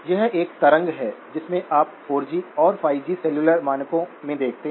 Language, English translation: Hindi, This is a waveform that you see a lot in the 4G and the 5G cellular standards